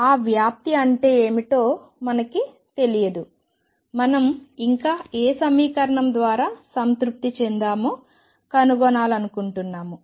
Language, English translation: Telugu, We do not know what that amplitude means how can we say what we still want to discover what is the equation satisfied by